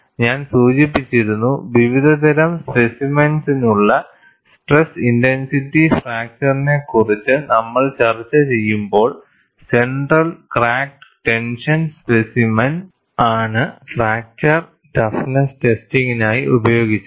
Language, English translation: Malayalam, And I had mentioned, when we were discussing the stress intensity factor for variety of specimens, the center cracked tension specimen was used for fracture toughness testing